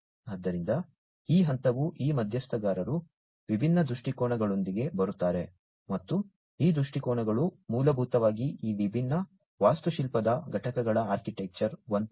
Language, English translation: Kannada, So, these step these stakeholders come up with different viewpoints and these viewpoints essentially help in coming up with these different architectural components architecture 1